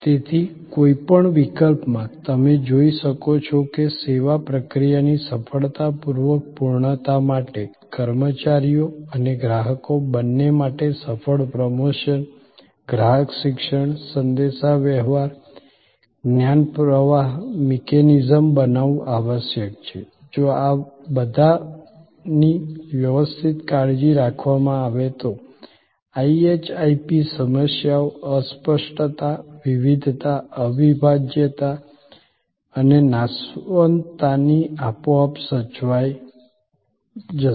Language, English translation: Gujarati, So, in either case as you can see that for successful completion of service process, it is essential to create a successful promotion, customer education, communication, knowledge flow mechanism, for both employees and for customers, which if done correctly will take care of the so called IHIP problems, the intangibility, the heterogeneity, inseparability and perishability